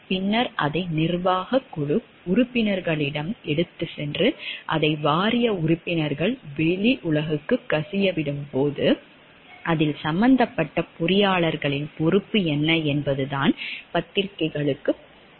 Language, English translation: Tamil, Then they took it to the board members, and when the board members leaked it to the outside world then what was the degree of responsibility of the engineers involved in it that it went to the press